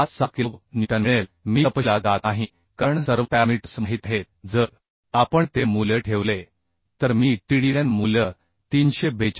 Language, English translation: Marathi, 56 kilonewton I am not going into details because all the parameters are known if we put those value I can find out Tdn value as 342